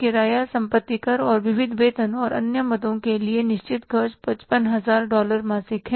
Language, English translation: Hindi, Fix expenses for the rent, property taxes and miscellaneous payrolls and other items are $55,000 monthly